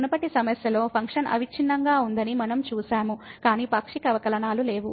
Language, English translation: Telugu, In the earlier problem, we have seen the function was continuous, but the partial derivatives do not exist